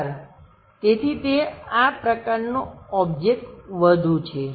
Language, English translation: Gujarati, The edge, so it is more like such kind of object